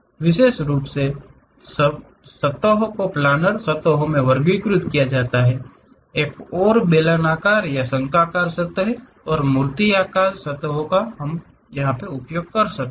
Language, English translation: Hindi, Especially, surfaces are categorized into planar surfaces, other one is cylindrical or conical surfaces and sculptured surfaces we call